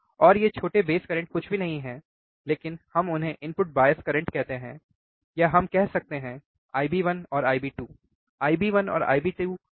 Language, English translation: Hindi, And this small base currents are nothing but we call them as a input bias current or we can say I B 1 and I B 2, why I B 1 and B 2